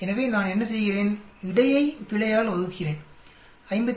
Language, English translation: Tamil, So what do I do, between divided by the error 57